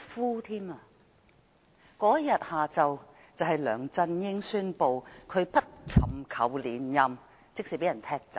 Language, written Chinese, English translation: Cantonese, 當天下午就是梁振英宣布不尋求連任的日子，即是說他被踢走。, That afternoon was the day on which LEUNG Chun - ying announced that he would not seek re - election . In other words he was kicked out